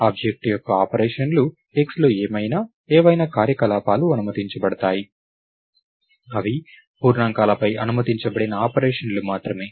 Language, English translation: Telugu, whatever on x, whatever operations are allowed, are only those operations that are allowed on integers